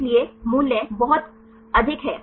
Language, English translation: Hindi, So, values are very high